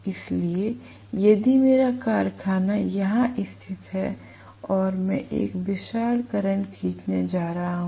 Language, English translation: Hindi, So, if my factory is located somewhere here and I am going to draw a huge current right